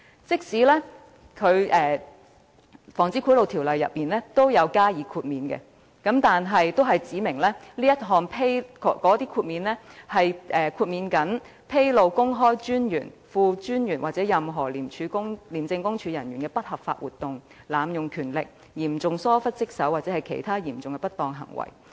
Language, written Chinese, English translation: Cantonese, 即使《防止賄賂條例》已訂有豁免，但豁免範圍亦僅限於所披露的資料旨在"公開專員、副專員或任何廉政公署人員的不合法活動、濫用權力、嚴重疏於職守或其他嚴重不當行為"。, Although exemption provisions have already been provided for in the POBO the exemptions only cover disclosures which seek to reveal any unlawful activity abuse of power serious neglect of duty or other serious misconduct by the Commissioner the Deputy Commissioner or any officer of ICAC